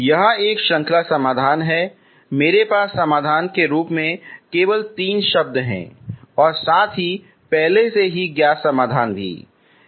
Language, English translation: Hindi, It is a series solution I have some only three terms as a solution plus already known solution together